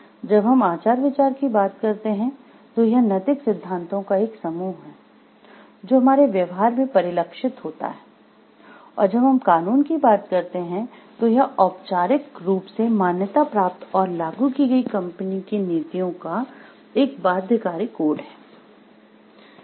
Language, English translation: Hindi, When you talk of ethics it is a set of moral principles guiding behavior in action, and when we talk of law it is a binding codes of conduct formally recognized and enforced company policies